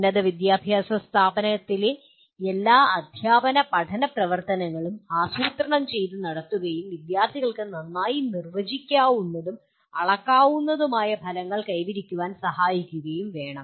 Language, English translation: Malayalam, And all teaching and learning activities in higher education institution should be planned and conducted to facilitate the students to attain well defined and measurable outcomes